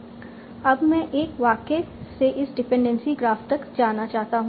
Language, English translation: Hindi, So I want to go from the sentence to my dependency graph